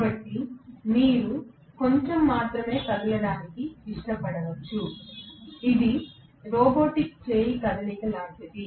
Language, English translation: Telugu, So, you might like to move only a little way, it is like a robotic arm movement